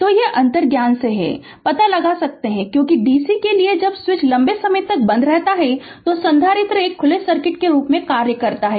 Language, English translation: Hindi, So, this is ah from your intuition, you can find out, because, to dc when switch is closed for long time, the capacitor act as a open circuit